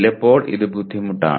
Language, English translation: Malayalam, Sometimes it is difficult